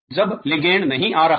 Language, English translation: Hindi, When ligand is not coming